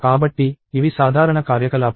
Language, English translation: Telugu, So, these are common operations